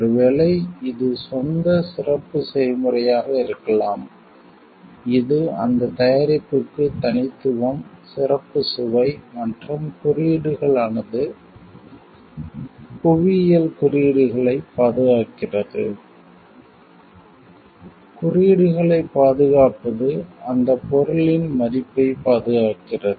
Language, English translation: Tamil, Maybe, it is own special recipe which gives uniqueness to that product, special taste to it, and indicators of that the geographical indicators preserves; protecting the indication preserves that value of that item